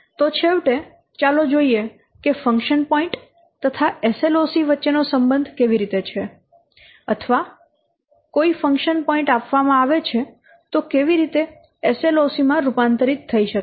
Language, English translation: Gujarati, So, finally, let's see what the relationship or how, what is the relationship between function points or SLOC or how, a given a function point, how it can be conversed to SLOC